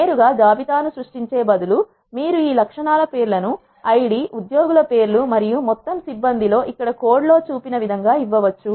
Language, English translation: Telugu, Instead of directly creating a list you can also give the names for this attributes as ID, names of employees and the total staff as shown in the code here